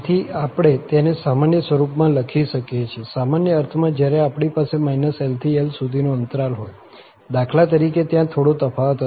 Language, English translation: Gujarati, So, we can write a general form, general in the sense, when we have the interval from minus L to plus L, for instance